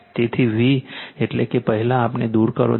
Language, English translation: Gujarati, So, v means first you remove this one